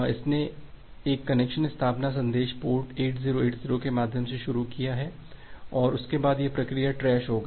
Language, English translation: Hindi, It was initiated a connection establishment message say port through port 8080 and after that this particular process get trashed